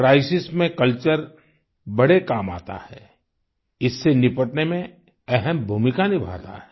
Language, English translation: Hindi, Culture helps a lot during crisis, plays a major role in handling it